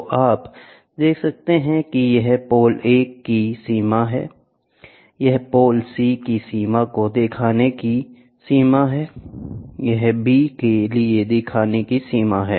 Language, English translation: Hindi, So, you can see this is a range of pole A, this is the range viewing range of pole C, this is the viewing range this is the viewing range for pole B